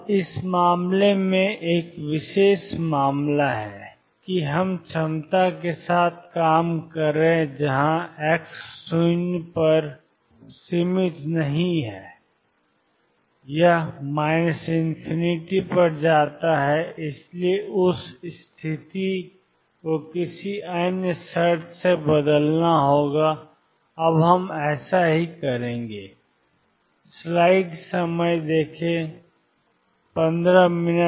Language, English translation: Hindi, Now, in this case a particular case that we are dealing with the potential is not finite at x equal to 0 it goes to minus infinity therefore, this condition has to be replaced by some other condition and we will do that now